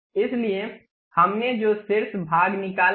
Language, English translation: Hindi, So, the top portion we have removed